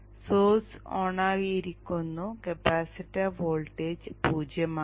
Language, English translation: Malayalam, So let us say the source is turned on, capacity voltage is zero